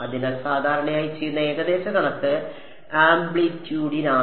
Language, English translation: Malayalam, So, the common approximation that is done is for amplitude